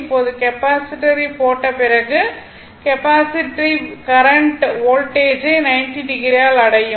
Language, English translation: Tamil, Now, after putting the Capacitor, Capacitor actually capacitive current will reach the Voltage by 90 degree